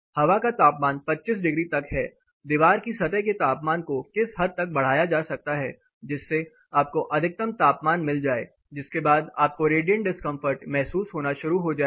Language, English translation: Hindi, Say air temperature is the 25 degree up to what to extent the surface temperature of the wall can go so that the maximum beyond which you will start feeling the radiant discomfort